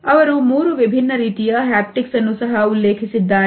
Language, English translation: Kannada, He has also referred to three different types of haptics